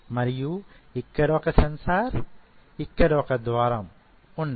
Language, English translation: Telugu, And here I have a sensor and here I have a gate